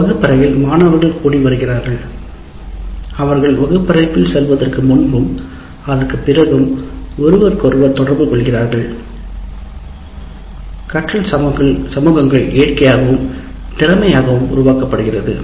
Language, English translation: Tamil, And because in a classroom students are gathering and they are interacting with each other prior before getting into the classroom and after the classroom, the learning communities can get created naturally and more easily